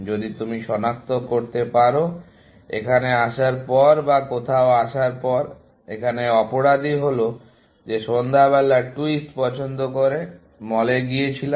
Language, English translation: Bengali, If you can identify, after coming here, or after coming somewhere that the culprit is the choice of evening twist, went in the mall